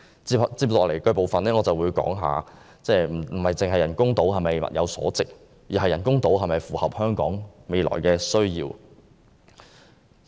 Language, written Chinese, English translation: Cantonese, 接下來，我會談談人工島是否物有所值，以及人工島是否符合香港未來的需要。, Next I will talk about whether it is worth constructing artificial islands and whether artificial islands will meet the future needs of Hong Kong